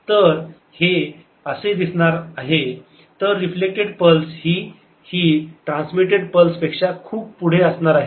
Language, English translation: Marathi, the reflected pulse is going to be much farther than the transmitted pulse